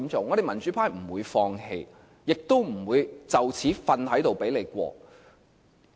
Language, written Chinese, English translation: Cantonese, 我們民主派不會放棄，亦不會就此躺着讓你通過。, The democratic camp will not give up and lie down on the job to let the RoP amendments be passed